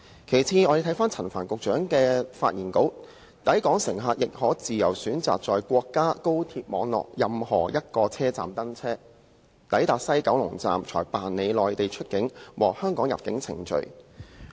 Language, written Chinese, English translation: Cantonese, 其次，陳帆局長的發言稿又提到"抵港乘客亦可......自由選擇在國家高鐵網絡任何一個車站登車，抵達西九龍站才辦理內地出境和香港入境程序"。, Besides in the speech Secretary Frank CHAN also mentions Passengers coming to Hong Kong can board trains at any station of their choice on the national high - speed rail network and go through Mainland departure clearance and Hong Kong arrival clearance at the West Kowloon Station